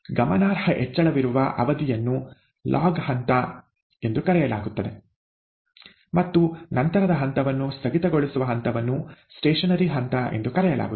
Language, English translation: Kannada, The period where there is a significant increase is called the ‘log phase’, and the later phase where it tapers off is called the ‘stationary phase’